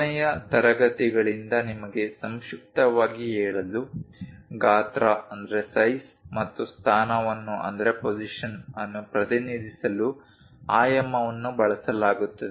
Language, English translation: Kannada, To briefly summarize you from the last classes, dimension is used to represent size and position